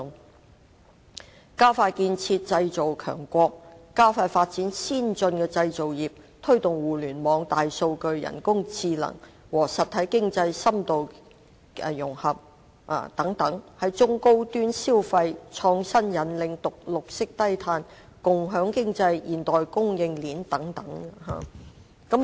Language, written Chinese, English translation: Cantonese, 當中包括加快建設製造強國，加快發展先進的製造業，推動互聯網、大數據、人工智能和實體經濟深度融合等，在中高端消費、創新引領、綠色低碳、共享經濟、現代供應鏈等領域加以改善。, These objectives include expediting the building of a powerful nation accelerating the development of advanced manufacturing industries promoting the deep integration of the Internet big data and artificial intelligence with the real economy etc as well as making improvements in areas such as high - end consumption advancement in innovation green and low - carbon development shared economy and the modern supply chain